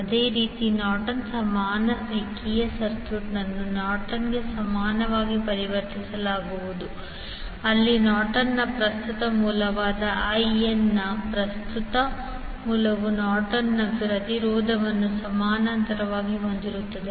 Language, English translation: Kannada, Similarly, in case of Norton’s equivalent linear circuit will be converted into the Norton’s equivalent where current source that is Norton’s current source that is IN will have the Norton’s impedance in parallel